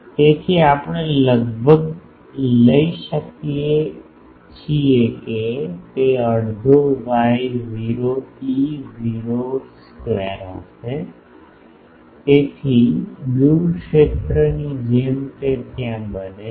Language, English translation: Gujarati, So, we can almost take it that it will be half Y not E square E, E not square; so, just like far field it becomes there